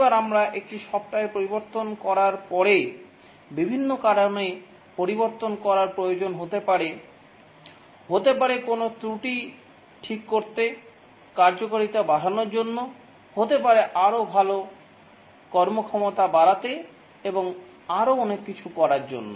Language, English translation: Bengali, Each time we change a software, the change may be required due to various reasons, may be to fix a bug, may be to enhance the functionality, maybe to make it have better performance and so on